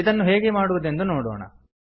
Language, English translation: Kannada, Lets see how it is done